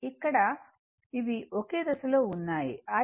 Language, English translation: Telugu, So, both are in the same phase